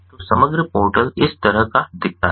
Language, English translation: Hindi, so, ah, this is how the overall portal looks like